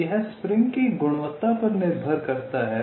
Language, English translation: Hindi, so this depends on the quality of the spring